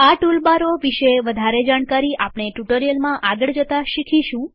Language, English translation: Gujarati, We will learn more about the toolbars as the tutorials progress